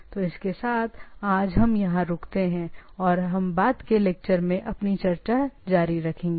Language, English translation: Hindi, So with this, let us stop today and we will continue our discussion in subsequent lecture